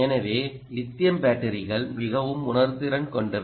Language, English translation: Tamil, so lithium batteries are very sensitive to ah